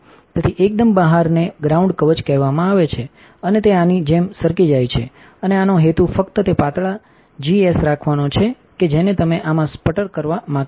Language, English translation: Gujarati, So, the very outside is called a ground shield and it slides off like this and the purpose of this is just to keep the things that you do not want to sputter inside this